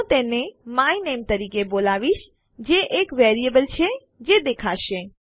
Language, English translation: Gujarati, Im going to call it my name which is the variable thats going to appear